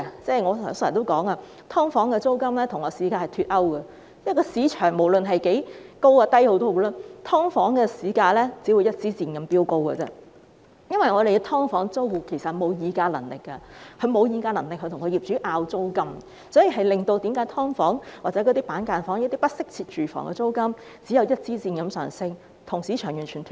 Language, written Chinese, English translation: Cantonese, 正如我剛才提到，"劏房"租金與市價脫鈎，因為無論市場需求高或低，"劏房"租金只會像一支箭般飆高，因為"劏房"租戶其實並沒有議價能力與業主爭拗租金，令"劏房"、板間房或不適切住房的租金只會像一支箭般上升，跟市場完全脫鈎。, As I have said earlier the rent of subdivided units is out of line with the market price because regardless of the market demand the rent of subdivided units will only keep shooting up because the tenants of subdivided units actually have no bargaining power to haggle over the rent with the landlords . Consequently the rent of subdivided units cubicle apartments or inadequate housing will only keep soaring way out of line with the market